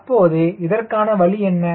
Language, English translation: Tamil, so what is the way